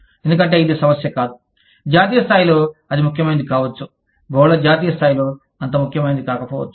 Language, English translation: Telugu, Because, it is not the issue, that may be important, at the national level, may not be as important, at the multi national level